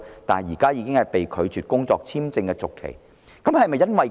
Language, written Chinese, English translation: Cantonese, 然而，他現在申請工作簽證續期卻被拒。, Nonetheless his application for renewal of work visa was refused